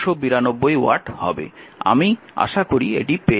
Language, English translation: Bengali, So, I hope you have got it this right